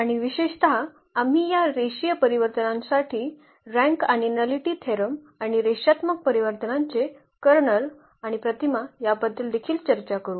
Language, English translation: Marathi, And in particular we will also talk about the rank and nullity theorem for these linear transformations and also the kernel and image of linear transformations